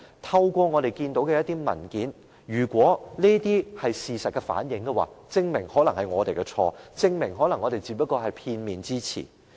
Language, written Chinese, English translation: Cantonese, 透過我們看到的文件，當中反映的事實可能證明是我們有錯，證明我們只是片面之詞。, The truth reflected in the papers we read may prove that we are wrong and we are only presented with one - sided stories